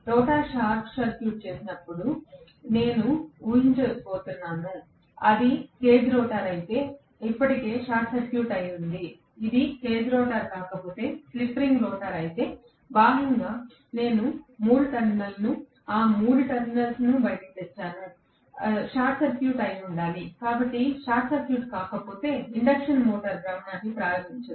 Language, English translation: Telugu, I am going to assume that the rotor is short circuited, if it is the cage rotor it is already short circuited, if it is not a cage rotor, if it is slip ring rotor, externally I have brought out 3 terminals, those 3 terminals have to be short circuited, if it is not short circuited the induction motor will not start rotation